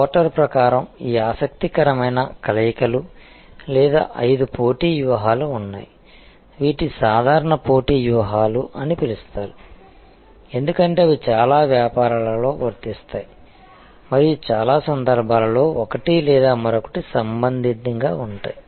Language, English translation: Telugu, According to Porter, there are these interesting combinations or five competitive strategies, these are called the generic competitive strategies, because they are applicable in most businesses and in most situations, one or the other will be relevant